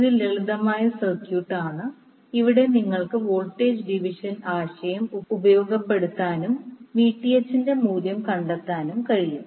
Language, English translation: Malayalam, This is simple circuit, where you can utilize the voltage division concept and find out the value of Vth